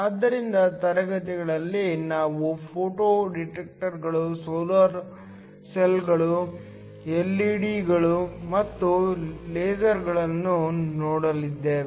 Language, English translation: Kannada, So, in the classes we looked at photo detectors, solar cells, LEDs and lasers